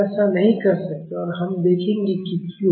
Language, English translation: Hindi, We cannot do that and we will see why